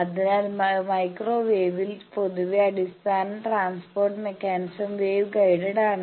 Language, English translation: Malayalam, So, in microwave generally the fundamental transport mechanism is the wave guide